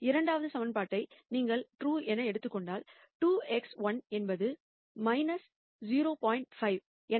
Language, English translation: Tamil, If you were to take the second equation as true then 2 x 1 is minus 0